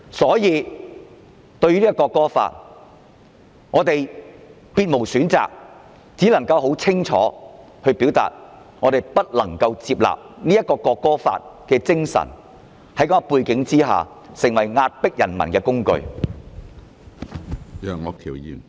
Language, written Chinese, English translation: Cantonese, 因此，對於《條例草案》，我們別無選擇，只能清楚地表明我們不能接納《條例草案》在這樣的背景下，成為壓迫人民的工具。, For this reason regarding the Bill we have no other choice but to make it clear that we cannot accept the Bill which will become a tool for oppressing people against such a background